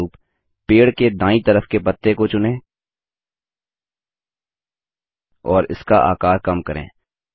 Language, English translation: Hindi, For example let us select the leaves on the right side of the tree and reduce the size